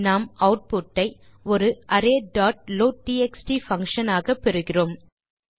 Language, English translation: Tamil, We get our output in the form of an array dot loadtxt function